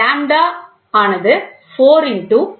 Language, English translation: Tamil, Lambda is 4 into 0